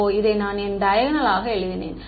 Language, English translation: Tamil, Oh, why did I write this as diagonal